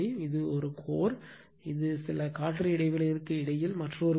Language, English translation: Tamil, And this one core, this is another core in between some air gap is there